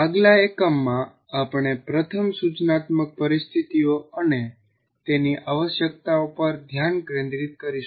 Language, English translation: Gujarati, And in the next unit, we first focus on instructional situations and their requirements